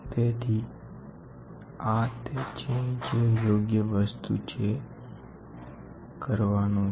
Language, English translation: Gujarati, So, this is what is the correct thing which has to be done